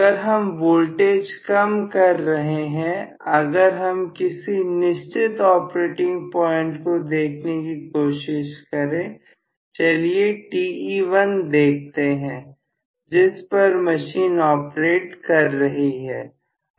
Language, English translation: Hindi, So, as I decrease the volts, if I try to look at particular operating point, may be this is Te1, at which the machine is operating